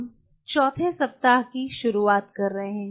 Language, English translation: Hindi, We are starting the 4th week